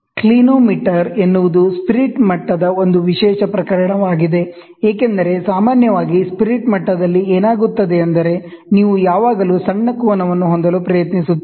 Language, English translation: Kannada, A Clinometer is a special case of spirit level, because generally in a spirit level what happens, you would always try to have a smaller angle